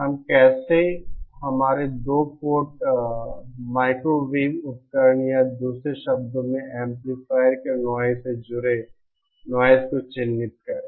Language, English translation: Hindi, How do we characterise the noise associated with our 2 port the microwave device or in other words the noise of an amplifier